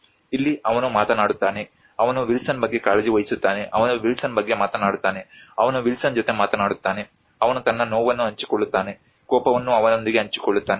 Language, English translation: Kannada, Here he talks about, he cares about Wilson, he talks about Wilson, he talks with Wilson, he shares his pain, anger everything with him